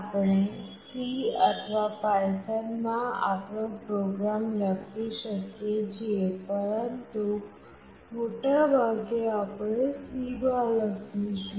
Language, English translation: Gujarati, We can write our program in C or python, but most specifically we will be writing in C